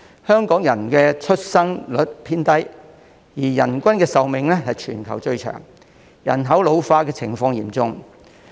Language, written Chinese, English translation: Cantonese, 香港的生育率偏低，人均壽命卻是全球最長，令人口老化的情況日益嚴重。, Despite the low fertility rate in Hong Kong the average life expectancy of Hong Kong people is one of the longest in the world causing the problem of ageing population to deteriorate